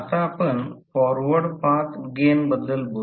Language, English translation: Marathi, Now, let us talk about Forward Path Gain